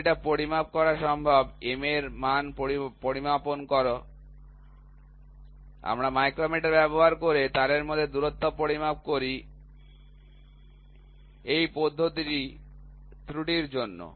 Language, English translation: Bengali, So, although it is possible to measure; measure the value of M, we measure M the distance between the wires using micrometre, this method is for error